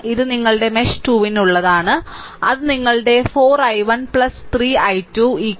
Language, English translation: Malayalam, And this is for your mesh 2 that is for your 4 i 1 plus 3 i 2 is equal minus 2